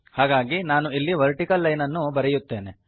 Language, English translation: Kannada, So let me put that vertical line